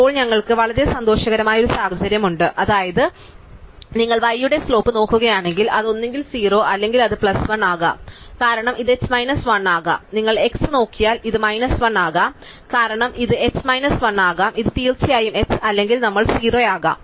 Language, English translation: Malayalam, And now we have a very happy situation which is that if you look at the slope of y, then it is the either 0 or it could be plus 1 because this could be h minus 1